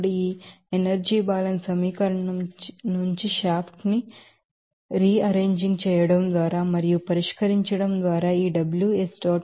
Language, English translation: Telugu, Now, rearranging and solving for this a shaft work from this energy balance equation we can have this Ws dot will be equal to minus 49